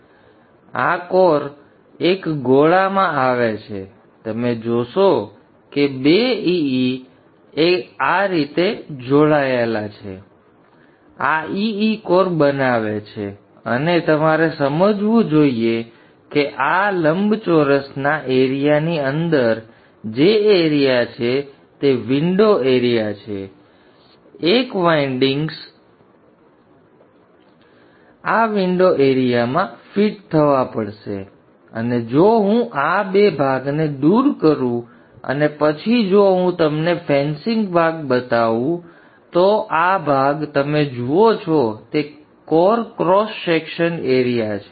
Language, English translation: Gujarati, So this E type of core comes in as pair you will see that two E's joined together like that and this forms the EEcore and you should understand that the area which is inside the area of this rectangle which I am pointing out is the window area area one rectangle not both is the window area a w which I just mentioned before and all the windings will have to fit in this window area AW which I just mentioned before